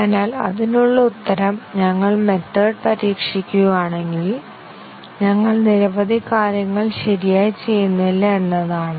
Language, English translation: Malayalam, So the answer to that is that, if we just simply test the methods then we are not doing several things correctly